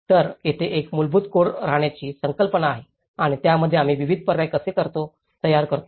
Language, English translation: Marathi, So, there is a basic code dwelling concept and how we tailor different options within it